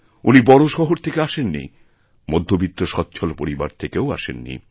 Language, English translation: Bengali, He is not from a big city, he does not come from a middle class or rich family